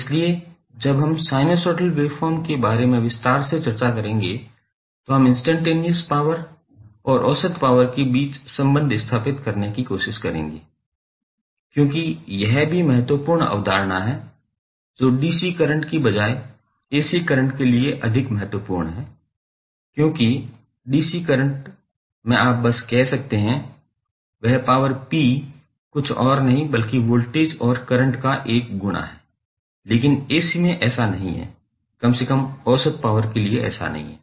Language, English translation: Hindi, So, when we will discuss in detail the sinusoidal waveforms we will try to establish the relation between instantaneous power and average power because that is also the important concept which is more important for ac currents rather than dc currents because in dc currents you can simply say that power p is nothing but a product of voltage and current but in ac it does not atleast for average power it does not follow like this